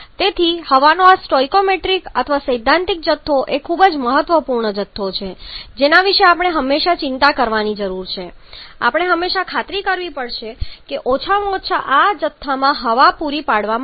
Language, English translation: Gujarati, So, this stoichiometric or theoretical combustion or theoretical quantity of air is a very important quantity that we always need to be bothered about